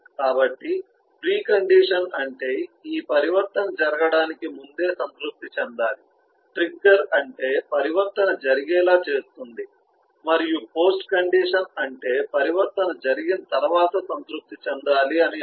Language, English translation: Telugu, so precondition is what must satisfy before this transition can take place, trigger is what makes the transition happen and post condition is what must be satisfied once the transition is taken place